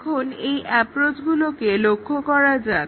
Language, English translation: Bengali, Now, let us look at these approaches